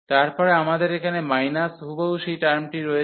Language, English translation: Bengali, Then we have here minus exactly that term